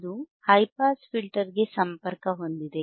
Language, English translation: Kannada, iIt is connected to high pass filter